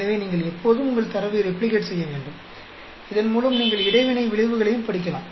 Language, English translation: Tamil, So, you need to always replicate your data, so that you can study the interaction effect also